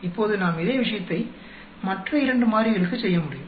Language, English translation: Tamil, Now same thing we can do for other two variables